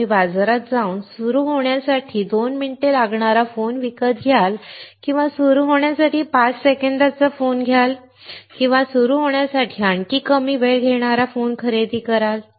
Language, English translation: Marathi, Would you go to the market and buy a phone that takes 2 minutes to start or will you buy a phone that takes five seconds to start or will you buy a phone that takes even smaller time to start